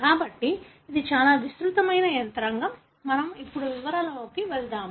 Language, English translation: Telugu, So, it a very elaborate mechanism; we will not get into the details